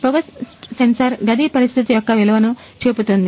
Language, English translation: Telugu, So, smoke sensor show the value of the room condition